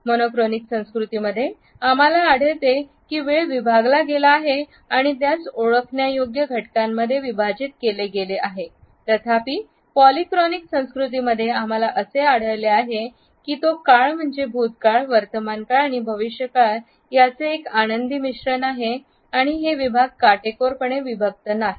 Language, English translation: Marathi, In the monochronic cultures we find that time is divided and further subdivided into identifiable units; however, in polychronic cultures we find that time is a happy mixture of past present and future and these segments are not strictly segregated